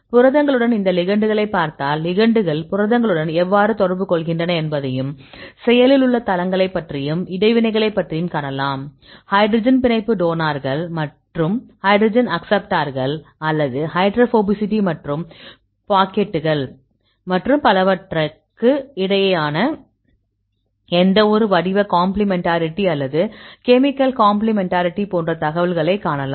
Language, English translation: Tamil, So, if you look into these ligands with the proteins, and you can see how the ligands interact with the proteins and how about the active sites and how about the interactions; see any shape complementarity or the chemical complementarity between the hydrogen bond donor and acceptors or the hydrophobicity and the pockets and so on, so you get the information